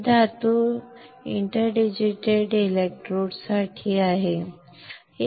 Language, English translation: Marathi, This metal is for interdigitated electrodes